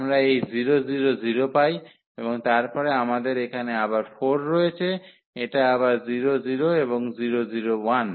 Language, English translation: Bengali, We get this 0 0 0 and then we have here 4 this again 0 0 and 0 0 1